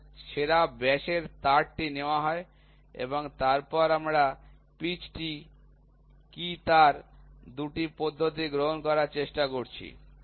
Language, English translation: Bengali, So, the best diameter wire is taken and then we are also trying to take the 2 wire method what is the pitch